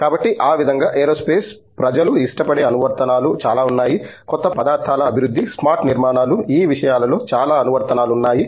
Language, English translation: Telugu, So, that way there is a lot of applications that aerospace people can do like, development of new materials, smart structures these things have a lot of applications